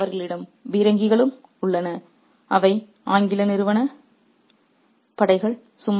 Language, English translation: Tamil, They have the artillery too, they being the English company forces